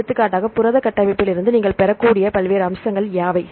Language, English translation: Tamil, For example, what are the various features you can derive from the protein structures